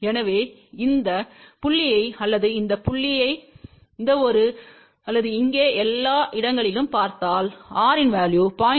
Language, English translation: Tamil, So that means, if you look at this point or this point or this one or here everywhere, the value of the r will remain 0